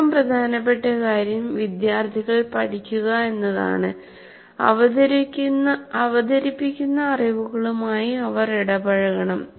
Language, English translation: Malayalam, And also, most important thing is for students to learn, they should engage with the knowledge that is being present